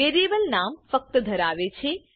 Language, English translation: Gujarati, Variable is used to store a value